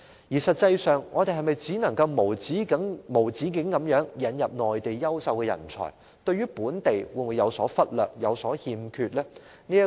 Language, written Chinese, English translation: Cantonese, 我們是否只能無止境引入內地優秀人才，而不理會本地人才或對他們有所虧欠呢？, Is it the case that we can only introduce talents from the Mainland indefinitely in disregard of local talents? . Or are we letting the latter down?